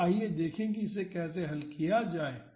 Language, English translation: Hindi, So, let us see how to solve this